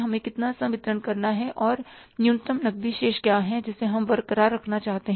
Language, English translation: Hindi, And what is the minimum cash balance which we want to retain also